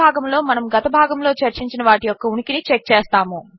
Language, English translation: Telugu, In this part we are going to check for existence of all that was discussed in the last part